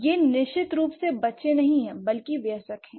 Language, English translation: Hindi, It's definitely not the children, rather the adults